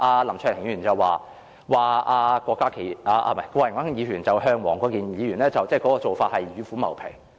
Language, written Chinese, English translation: Cantonese, 林卓廷議員剛才說，郭榮鏗議員向黃國健議員提出建議，等於是與虎謀皮。, As depicted by Mr LAM Cheuk - ting just now Mr Dennis KWOKs offer to Mr WONG Kwok - kin is like asking the tiger for its skin